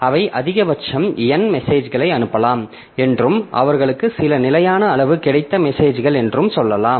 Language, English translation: Tamil, So, we can, we can say that they are at most n messages can be sent and messages they have got some fixed size